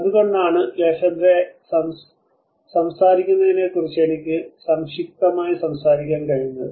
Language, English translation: Malayalam, So that is where I can just briefly talk about what Lefebvre talks about